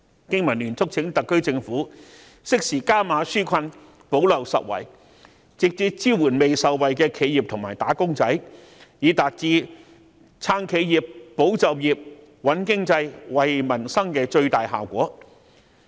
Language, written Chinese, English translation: Cantonese, 經民聯促請特區政府適時加碼紓困，補漏拾遺，直接支援未受惠的企業和"打工仔"，以達至撐企業、保就業、穩經濟、惠民生的最大效果。, BPA urges the Government to roll out more relief measures in a timely manner and plug the gaps by providing direct assistance to those enterprises and wage earners who cannot be benefited . This is the way to achieve to the fullest extent the objectives of supporting enterprises safeguarding jobs stabilizing the economy and benefiting peoples livelihood